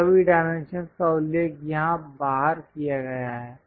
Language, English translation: Hindi, So, all the dimensions are mentioned here on the outside